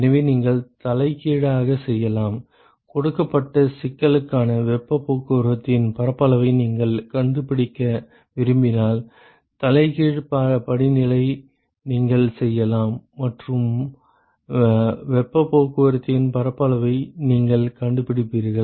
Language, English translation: Tamil, So, you can do the reverse, if you want to find the area of heat transport for a given problem you can do the reverse step and you will find the area of heat transport